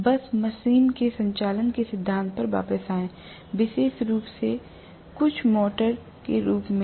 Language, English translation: Hindi, Just come back to the principle of operation of the machine, especially as some motor